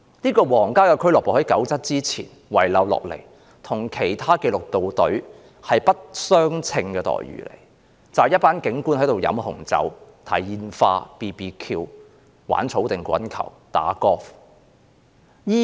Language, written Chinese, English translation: Cantonese, 這個皇家俱樂部在1997年前遺留下來，與其他紀律部隊的待遇不相稱，容許警官在那裏喝紅酒、看煙花、燒烤、玩草地滾球和打高爾夫球。, This royal club is a pre - 1997 legacy . This practice is inconsistent with those of other disciplined services . The club is a place where police officers can drink wine watch fireworks have barbecue and play lawn bowl or golf